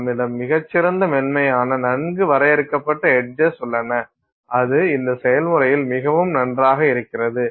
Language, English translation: Tamil, You have very nice, smooth, well defined edges and that is very nice in this process